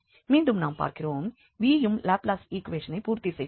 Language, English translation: Tamil, So, again we have so seen that the v also satisfies the Laplace equation